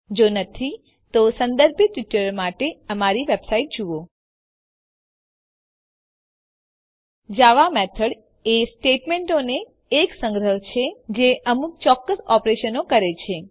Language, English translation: Gujarati, If not, for relevant tutorials please visit our website which is as shown, (http://www.spoken tutorial.org) A java method is a collection of statements that performs a specified operation